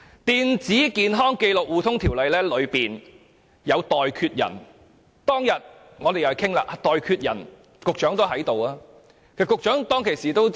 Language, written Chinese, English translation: Cantonese, 《電子健康紀錄互通系統條例》中訂有"代決人"，當天討論"代決人"時，局長也在席。, Under the Electronic Health Record Sharing System Ordinance there is a provision on substitute decision maker . The Secretary was present at the discussion about substitute decision maker on that day